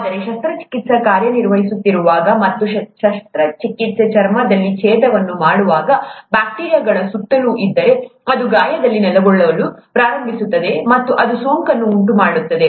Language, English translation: Kannada, Whereas when the surgeon is operating, and when the surgeon is making an incision in the skin, if there are bacteria around, it will start settling in this wound and that will cause infection